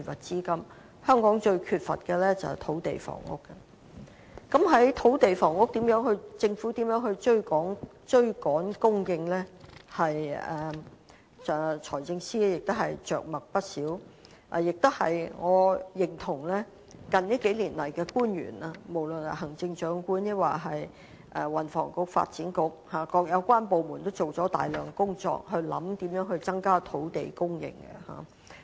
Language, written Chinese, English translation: Cantonese, 就着如何於土地和房屋方面追趕供應，財政司司長也着墨不少，我亦認同近年的官員，不論是行政長官、運輸及房屋局或發展局等各有關部門，也就此進行了大量工作，思考如何增加土地供應。, As for how to make up the supply shortfall of land and housing the Financial Secretary gives a very long account in the Budget . I agree that the Chief Executive or officials from the Transport and Housing Bureau the Development Bureau and other relevant departments have all been doing a lot of work and thinking on how to increase land supply in recent years